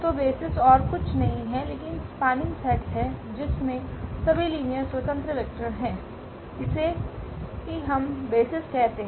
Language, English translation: Hindi, So, the basis is nothing, but spanning set which has all linearly independent vectors that we call basis